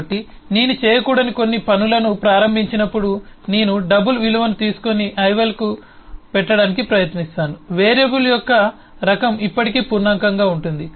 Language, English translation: Telugu, so when I start doing certain things that, eh, I should probably not doing, I take a double value and try to put to ival, the type of the variable is still hold on to be of integer